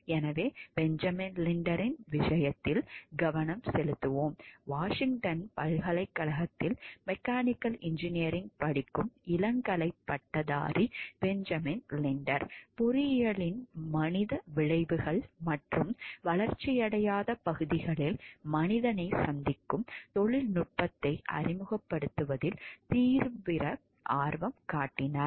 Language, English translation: Tamil, So, let us focus into this case which is the case of Benjamin Linder, as an undergraduate studying mechanical engineering at the University of a Washington Benjamin Linder became intensely interested in the human consequences of engineering and the introduction of technology in undeveloped areas to meet human needs